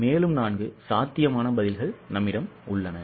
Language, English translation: Tamil, Again, there are four possible answers